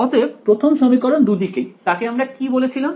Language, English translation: Bengali, So, the first equation on both sides, what did we call it